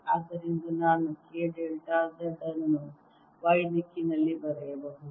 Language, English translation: Kannada, so i can write k delta z in the y direction